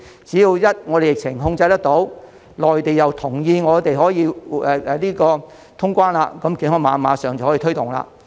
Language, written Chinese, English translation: Cantonese, 只要我們的疫情一旦受控，內地又同意我們可以通關，便可以馬上推動健康碼。, Once our pandemic is under control and the Mainland agrees to open the boundary crossings again we can immediately launch our Health Code